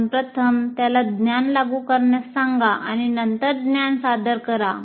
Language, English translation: Marathi, You first make him apply the knowledge and then present the knowledge